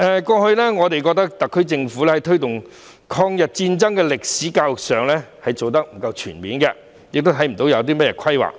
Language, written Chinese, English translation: Cantonese, 過去，我們認為特區政府在推動抗日戰爭歷史的教育上做得不全面，亦看不到有何規劃。, In the past we reckoned that the SAR Government had not done a comprehensive job in promoting education on the history of the War of Resistance against Japanese Aggression nor did it have any plans for it